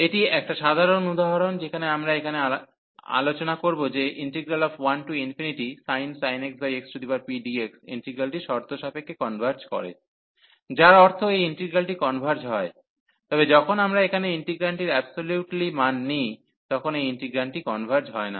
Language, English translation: Bengali, And that is the way standard example, which we will discuss now here that 0 to infinity, the sin x over x dx this integral converges conditionally meaning that this integral converges, but when we take the absolute value here over the integrant, then this integral does not converge